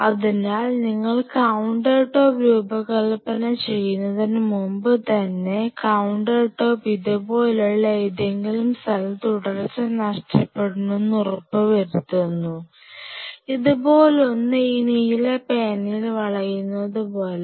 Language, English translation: Malayalam, So, even before you design the counter top you ensure that you should have location where the counter top become discontinues something like this, I am just kind of you know curving out in blue pen something like this